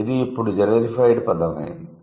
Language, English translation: Telugu, Then we have generified words